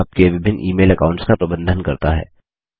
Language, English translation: Hindi, It also lets you manage multiple email accounts